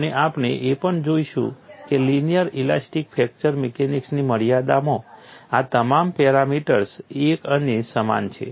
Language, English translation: Gujarati, So, this brings in a set of comfort that within the confines of linear elastic fracture mechanics, all these seemingly different parameters or interrelated